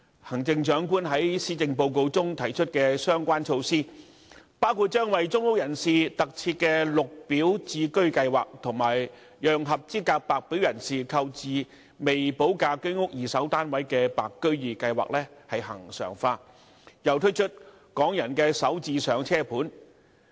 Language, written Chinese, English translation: Cantonese, 行政長官在施政報告中提出的相關措施，包括為公屋人士特設的"綠表置居計劃"，以及把讓合資格白表人士購置未補價的居屋二手市場單位的"白居二"計劃恆常化，並推出"港人首置上車盤"。, The relevant measures proposed by the Chief Executive in the Policy Address include the Green Form Subsidised Home Ownership Scheme which specifically caters for public rental housing tenants regularization of the Interim Scheme of Extending the Home Ownership Scheme Secondary Market to White Form Buyers which allows eligible White Form applicants to purchase Home Ownership Scheme HOS flats with premium unpaid in the HOS secondary market and the launch of Starter Homes